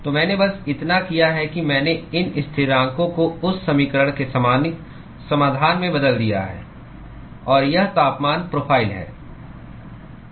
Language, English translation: Hindi, So, that is the all I have done is I have just substituted these constants into the general solution of that equation; and this is the temperature profile